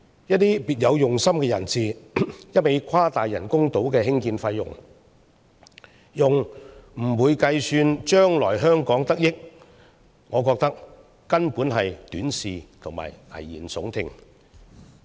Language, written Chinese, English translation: Cantonese, 一些別有用心人士，一味誇大人工島的興建費用，而不會計算將來香港得益，我認為根本是短視和危言聳聽。, Some people with ulterior motives keep exaggerating the construction cost of the artificial islands without factoring in the future benefits to Hong Kong . I think they are downright short - sighted and alarmist